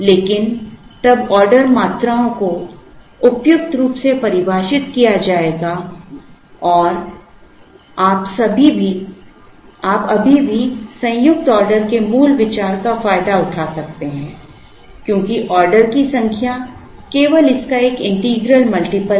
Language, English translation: Hindi, But, then the order quantities will be suitably defined and you can still exploit the basic idea of joint ordering, because the number of order is only an integral multiple of this